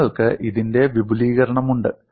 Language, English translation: Malayalam, Then you have extension of this